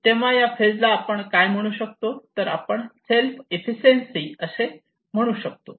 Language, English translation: Marathi, What we call these phase, this one we call as self efficacy